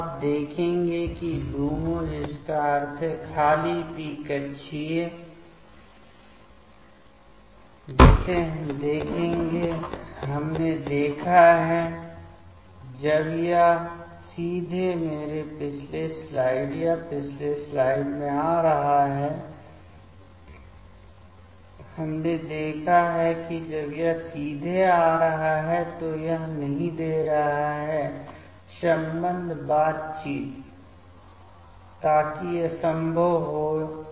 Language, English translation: Hindi, Now, you will see it is LUMO that means, the empty p orbital that we will see we have seen when it is directly approaching in my previous slide or previous slide, we have seen that when it is directly approaching, this is not giving the bonding interactions, so that becomes impossible